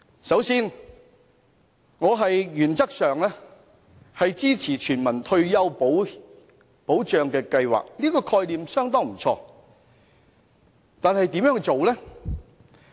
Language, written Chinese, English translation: Cantonese, 首先，我原則上支持全民退休保障計劃，覺得這個概念不錯，但如何落實？, First of all I support the implementation of a universal retirement protection scheme in principle . The concept is good but how should the scheme be implemented?